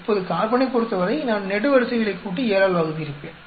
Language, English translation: Tamil, Now for carbon I would have just add up the columns and divide by 7